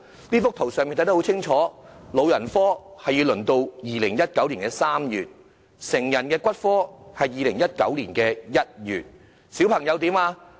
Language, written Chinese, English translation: Cantonese, 這幅圖表清楚列明：老人科的門診新症要輪候至2019年3月；成人骨科的是2019年1月；小朋友怎樣呢？, Also this chart clearly illustrates that new case booking for geriatric outpatient services needs to wait until March 2019 while that for adult orthopaedics and traumatology is January 2019 . What about that for children?